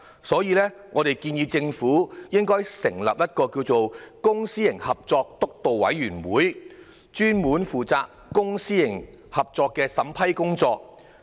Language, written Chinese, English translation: Cantonese, 所以，我們建議政府成立一個"公私營合作督導委員會"，專門負責公私營合作的審批工作。, For this reason we suggest that the Government establish a Public - Private Partnership Steering Committee dedicated to vetting and approval work in respect of public - private partnership